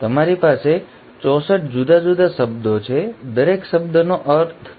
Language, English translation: Gujarati, You have 64 different words, each word meaning something